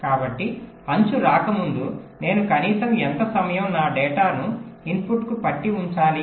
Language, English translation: Telugu, so, before the edge comes, what is the minimum amount of time i must hold my data to the input